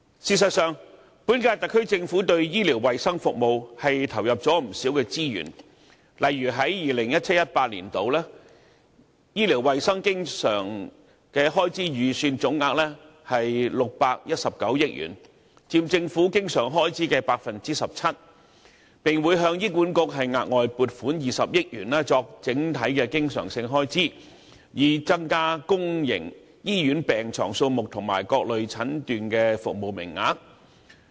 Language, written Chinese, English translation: Cantonese, 事實上，本屆特區政府對醫療衞生服務投入了不少資源，例如在 2017-2018 年度，醫療衞生經常性開支預算總額為619億元，佔政府經常性開支的 17%， 並會向醫管局額外撥款20億元作整體經常性開支，以增加公營醫院病床數目和各類診斷服務名額。, In fact the current - term Government has injected plenty of resources into healthcare services . For example the estimated recurrent expenditure for healthcare services in 2017 - 2018 is 61.9 billion accounting for 17 % of the Governments total recurrent expenditure . An additional 2 billion will be allocated to HA to finance its recurrent expenses on increasing the number of beds and the quota for various types of diagnostic services in public hospitals